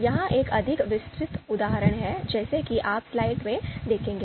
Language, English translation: Hindi, This is a more detailed example as you would see in the slide